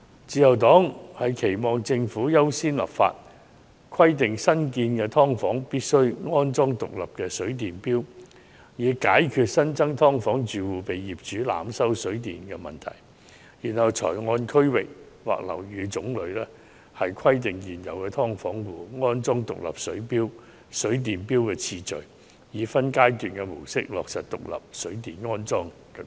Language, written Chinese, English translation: Cantonese, 自由黨期望政府優先立法，規定新建"劏房"必須安裝獨立水電錶，以解決新增"劏房"住戶被業主濫收水電費的問題，然後才按區域或樓宇種類編排現存"劏房"安裝獨立水電錶的次序，以分階段方式落實安裝獨立水電錶的規定。, The Liberal Party expects the Government to give priority to enacting legislation to require the installation of separate water and electricity meters in new subdivided units to prevent households of those new units from being overcharged by landlords of water and electricity tariffs before deciding on how the installation of separate water and electricity meters in the existing subdivided units should be prioritized by district or type of buildings thereby implementing the requirement of installing separate water and electricity meters in phases